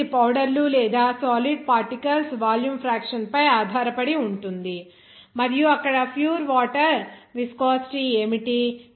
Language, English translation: Telugu, So, that depends on the volume fraction of the powders or solid particles and also what would be the pure water viscosity there